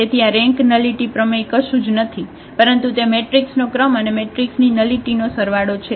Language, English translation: Gujarati, So, this rank nullity theorem is nothing but it says that the rank of a matrix plus nullity of the matrix